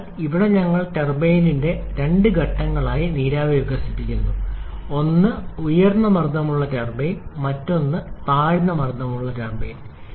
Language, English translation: Malayalam, So, here we are expanding the steam in two stages of turbine: one is a high pressure turbine and other is a low pressure turbine